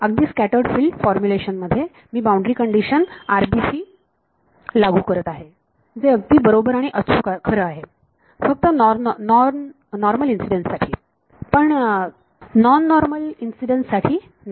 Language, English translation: Marathi, Even in the scattered field formulation I am imposing the boundary condition the RBC which is correctly true only for normal incidence not for non normal incidence right